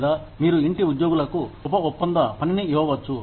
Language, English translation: Telugu, Or, you could give subcontracted work, to the in house employees